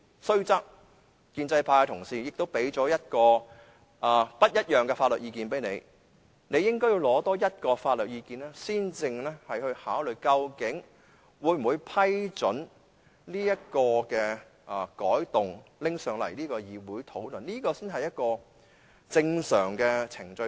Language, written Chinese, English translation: Cantonese, 雖然建制派同事已給你不同的法律意見，但你應該多取得另一個法律意見，才考慮會否批准這項修訂建議提交至立法會會議討論，這才是正常程序。, Though Honourable colleagues from the pro - establishment camp had already submitted to you a different legal opinion you should have at least obtained another one before considering whether to approve the tabling of the proposed amendment at the Legislative Council meeting . It is the normal procedure